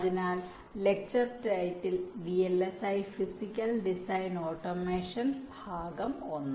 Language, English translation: Malayalam, so the lecture title: vlsi physical design automation, part one